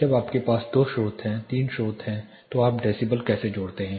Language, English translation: Hindi, When you have two sources 3 sources how do you add decibels